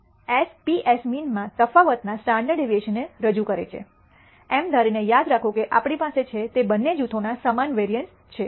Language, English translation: Gujarati, So, S p represents the standard deviation of the difference in the means, remember assuming that we have they are both the groups have the same variances